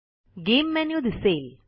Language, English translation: Marathi, The Game menu appears